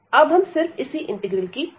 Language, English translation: Hindi, Now, we will discuss only this integral here